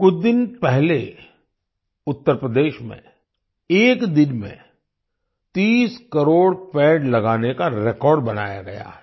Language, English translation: Hindi, A few days ago, in Uttar Pradesh, a record of planting 30 crore trees in a single day has been made